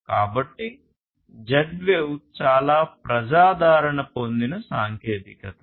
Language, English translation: Telugu, So, that is why Z wave is a very popular technology